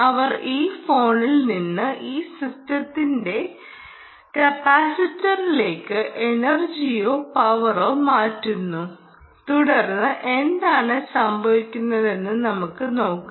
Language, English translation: Malayalam, she will transfer energy, transfer power, from this phone to this system, on to a small capacitor, and then let's say what actually happens